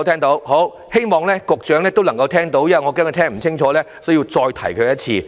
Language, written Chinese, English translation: Cantonese, 我希望局長也聽到，剛才我恐怕他聽不清楚，故此要再次提醒他。, I also hope that the Secretary has heard what I said . Just now I was afraid that he could not hear me well and so I reminded him once again